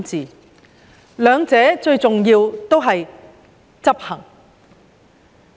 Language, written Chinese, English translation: Cantonese, 關於這兩方面，最重要的都是執行。, In both cases execution is of paramount importance